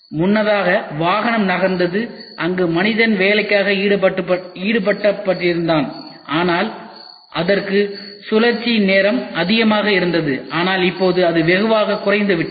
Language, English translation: Tamil, Earlier the vehicle was moving where there was man involved, but it had the cycle time was large, but now it has shrunk down drastically